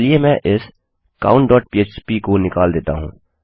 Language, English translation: Hindi, Let me remove this count.php